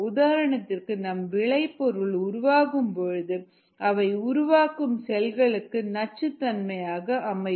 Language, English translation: Tamil, for example, some products that are made by this cells can be toxic to the cells themselves